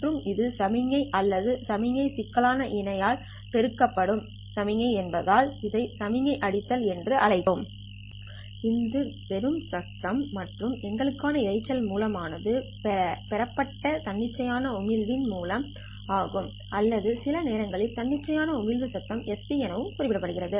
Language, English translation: Tamil, Clearly this is just the signal component and because this is signal multiplied by a signal or signal complex conjugate we call this as signal and signal beating this is just the noise and the noise source for us is the amplified spontaneous emission source or sometimes noted by the spontaneous emission noise sp so this term term is actually the SP, that is spontaneous emission noise, talking to itself or beating with itself